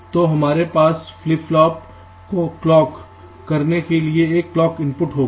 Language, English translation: Hindi, there will be clock input to clock this flip flop